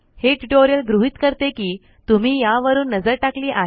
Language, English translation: Marathi, The rest of the tutorial assumes that you have gone through this